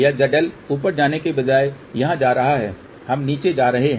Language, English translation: Hindi, This Z L go to here instead of going up we are going down